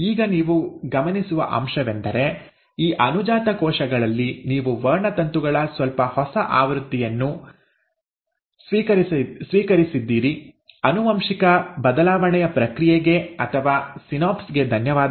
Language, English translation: Kannada, Now what you will notice is that in these daughter cells, you have received slightly newer version of the chromosomes, thanks to the process of genetic shuffling or the synapse